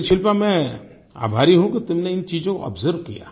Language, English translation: Hindi, But I am glad, Shilpa, that you have observed these things